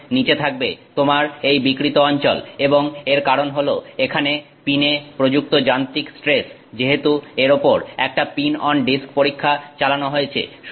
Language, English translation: Bengali, Below that you have this thing called the deformed region and that is because of the mechanical stresses that are there on the pin because it is being subject to this test of pin on disk